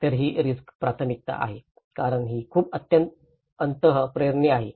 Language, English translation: Marathi, So, this is the risk prioritization because that is very much instinctual